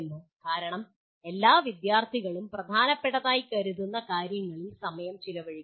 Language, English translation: Malayalam, Because after all the student will spend time on what is considered important